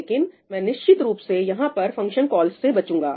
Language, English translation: Hindi, What I will definitely avoid is having function calls here